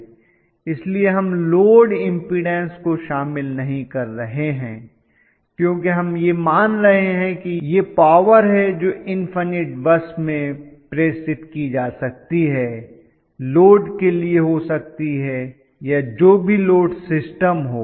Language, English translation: Hindi, So we are just not including the load impudence because we are assuming that, that is the bulk power that is been transmitted to may be infinite bus, may be to the load, may be you know whatever, whichever is the load system